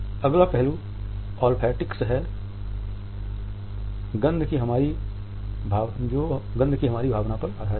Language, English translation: Hindi, Olfactics is based on our sense of a smell